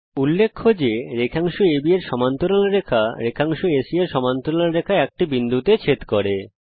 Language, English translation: Bengali, Notice that the parallel line to segment AB and parallel line to segment AC intersect at a point